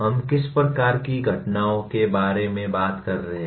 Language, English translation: Hindi, What type of events are we talking about